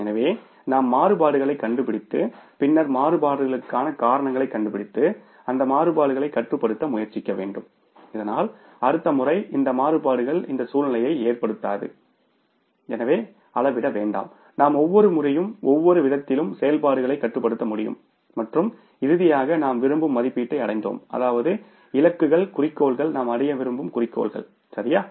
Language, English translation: Tamil, So, we have to find out the variances and then we will have to try to find out the reasons for the variances and control those variances so that next time these variances do not occur, the situation do not, means does not arise and we are able to control the operations in every respect in every sense and finally arrive at the estimates which we want to miss the targets, the goals, the objectives which we want to achieve